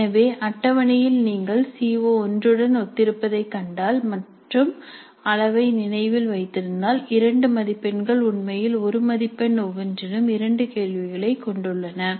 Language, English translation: Tamil, So in the table if you see corresponding to CO1 corresponding to remember level two marks are actually composed with two questions, each of one mark